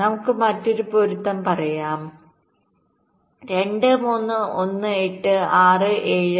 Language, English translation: Malayalam, lets say, another matching: two, three, one, eight, six, seven, four, five